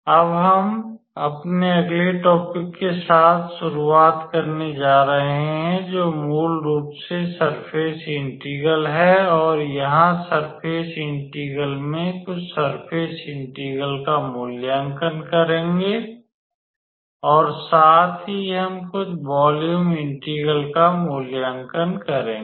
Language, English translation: Hindi, Now, I am going to start with our next topic which is basically surface integral and in surface integral here will evaluate some surface integral obviously and also we will evaluate some volume integrals